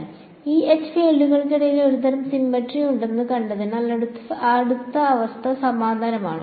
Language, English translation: Malayalam, The next condition is analogous because we have seen that there is a sort of symmetry between E and H fields